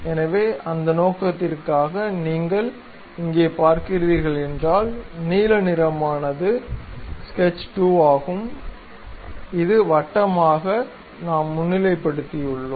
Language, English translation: Tamil, So, for that purpose if you are looking here; the blue one is sketch 2, which we have highlighted as circle